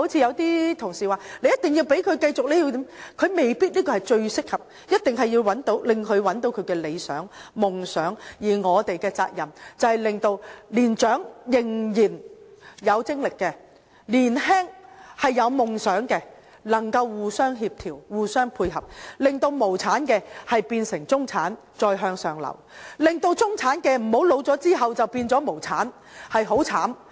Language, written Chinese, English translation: Cantonese, 有些同事說，一定要讓他繼續受訓，但這未必最適合他，我們一定要讓他找到理想、夢想，而我們的責任是令年長和仍然有精力的，年輕有夢想的，能夠互相協調、互相配合，令無產的變成中產，再向上流；令中產的，在年老後不會變成無產，這樣會很悽慘。, While some colleagues insisted on keeping him at it this may not be the most suitable path for him . We must allow him to find his dream . It is our responsibility to create an environment where the experienced with vigour and the youth with dreams can complement each other so that those people without asset can climb up the social ladder to join the middle class and even move further upward while those belonging to the middle class will not move downward when they cannot keep their assets after they get old as this will really be miserable for them